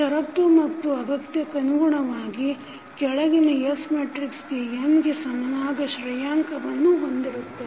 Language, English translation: Kannada, So, the condition is necessary and sufficient that the following S matrix has the rank equal to n